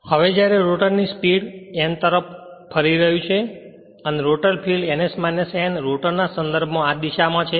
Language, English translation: Gujarati, Since the rotor is running at a speed n and the rotor field at ns minus n right with respect to the rotor in the same direction